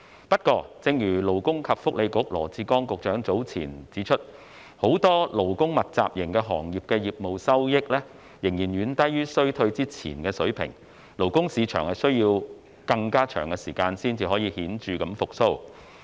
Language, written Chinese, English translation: Cantonese, 不過，正如勞工及福利局羅致光局長早前指出，很多勞工密集型行業的業務收益，仍然遠低於疫情前的水平，勞工市場需要更長時間才能顯著復蘇。, Nevertheless as the Secretary for Labour and Welfare Dr LAW Chi - kwong has point out the business receipts of many labour - intensive industries are still far below the pre - epidemic level . The labour market will take a longer time to make a significant recovery